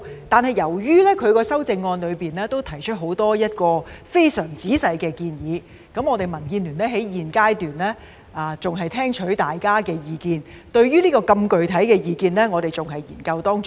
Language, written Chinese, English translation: Cantonese, 但是，由於她的修正案提出很多非常仔細的建議，民建聯現階段還在聽取大家的意見；對於如此具體的意見，我們還在研究當中。, However as her amendment has put forward many detailed proposals the Democratic Alliance for the Betterment and Progress of Hong Kong DAB is still listening to various views at this stage . Moreover the views touch on so many specifics that we are still studying them